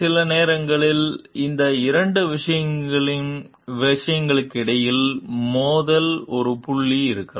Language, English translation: Tamil, Sometimes there could be a point of conflict between these two things